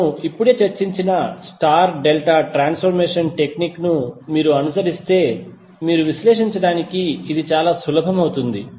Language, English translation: Telugu, But if you follow the star delta transformation technique, which we just discussed, this will be very easy for you to analyse